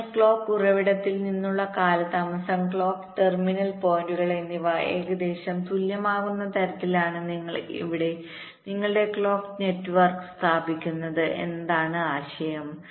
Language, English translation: Malayalam, so the idea is that you are laying out your clock network in such a way that automatically the delay from the clock source and the clock terminal points become approximately equal